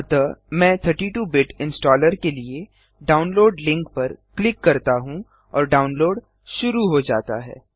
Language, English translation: Hindi, So I left click on the download link for 32 Bit Installer and download starts